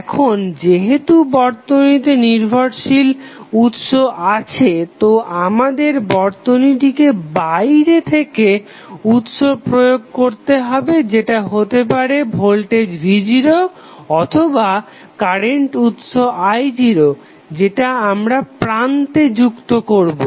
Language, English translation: Bengali, Now, since the network has dependent sources we have to excite the network from outside with the help of either voltage v naught or maybe the current source i naught which would be connected to the terminals